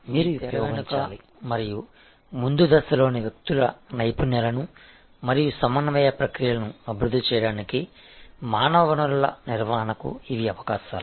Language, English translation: Telugu, These are opportunities for human resource management developing the skills of your backstage and front stage people and developing the coordination processes